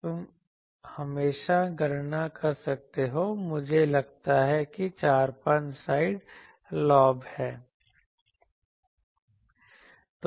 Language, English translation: Hindi, You can always calculate I think 4 5 side lobes are there etc